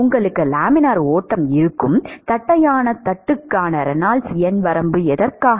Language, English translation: Tamil, For what is the Reynolds number range for a flat plate where you will have laminar flow